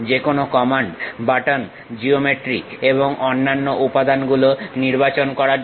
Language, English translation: Bengali, To select any commands, buttons, geometry or other elements